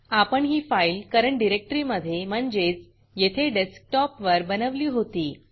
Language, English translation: Marathi, Also recall that this file was created in current working directory, which in my case is desktop